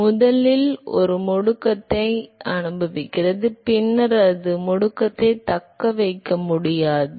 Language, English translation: Tamil, So, it first experiences an acceleration and then it is not able to sustain the acceleration